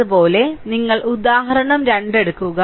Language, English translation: Malayalam, Similarly, you take a example 2